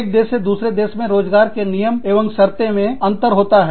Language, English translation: Hindi, Terms and conditions of employment, variances from, country to country